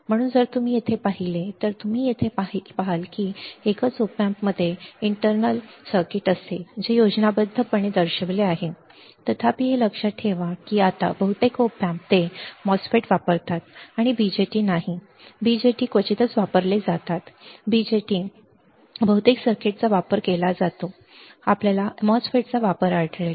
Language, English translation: Marathi, So, if you see here if you see here a single op amp will have internal circuit which is shown in the schematic; however, mind it that now most of the now op amps they use MOSFET and not BJTs; BJTs are seldomly used; BJTs are seldomly used most of the circuit, you will find use of MOSFETs